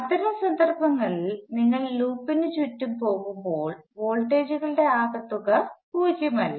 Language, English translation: Malayalam, In that case, the sum of voltages as you go around the loop is not necessarily zero